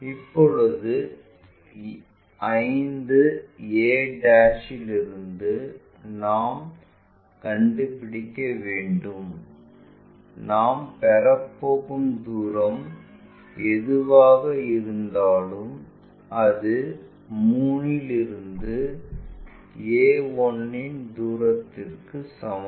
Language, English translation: Tamil, Now, we have to find from 5 a' whatever the distance we are going to get that is is equal to 3 to whatever the distance of a 1'